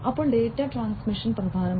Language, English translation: Malayalam, Data transmission is then important